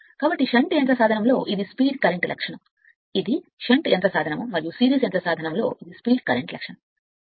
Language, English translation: Telugu, So, if you; that means, for shunt motor the characteristics this is speed current characteristic, this is for shunt motor, and for series motor it is your speeds current characteristic right